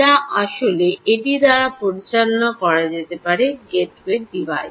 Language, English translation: Bengali, ah could actually be handled by this gateway device